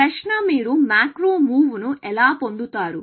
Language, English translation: Telugu, The question is; how do you get macro move